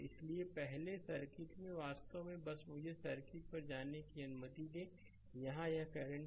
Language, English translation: Hindi, So, earlier in the circuit actually just let me go to go to the circuit right here this is the current i